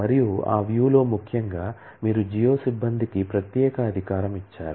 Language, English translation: Telugu, And on that view particularly you have given the privilege to the geo staff